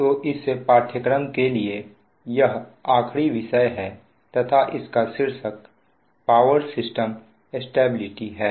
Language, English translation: Hindi, ok, so for this course this is the last topic and the title of this is power system stability